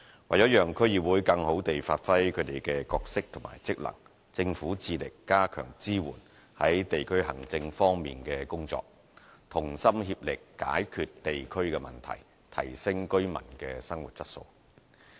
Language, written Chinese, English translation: Cantonese, 為了讓區議會更好地發揮其角色和職能，政府致力加強支援在地區行政方面的工作，同心協力解決地區的問題，提升居民的生活質素。, To better facilitate DCs in exercising their role and functions the Government strives to strengthen the support to the work concerning district administration and makes a concerted effort to resolve district issues thereby improving the quality of life of residents